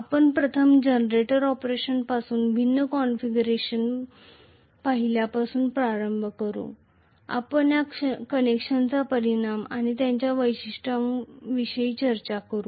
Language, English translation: Marathi, We will start off with first generator operation having seen the different configurations, we will look at the implications of these connections as and when we discuss the characteristics